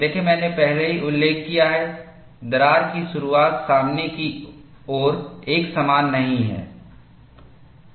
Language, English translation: Hindi, See, I have already mentioned, the crack opening is not uniform along the front